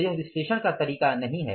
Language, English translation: Hindi, So, that is not the way of analysis